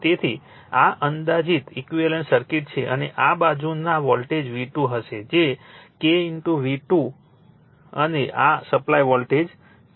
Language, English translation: Gujarati, So, this is an approximate equivalent circuit and this side voltage will be V 2 that is equal to say K into V 2, right and this is the supply voltage